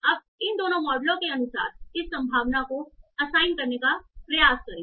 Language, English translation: Hindi, Now try to assign this a probability as per both of these models